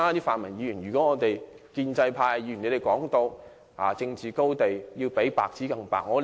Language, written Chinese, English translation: Cantonese, 泛民議員經常說，站在政治高地的人應比白紙更白。, The pan - democrats often say that people standing on the political high ground should be whiter than white